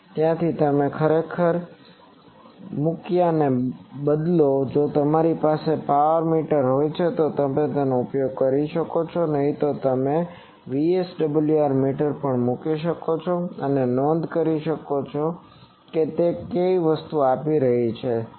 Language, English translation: Gujarati, So, there you put something actually instead of a if you have a power meter you can use otherwise you may VSWR meter also you can put and note where it is giving the thing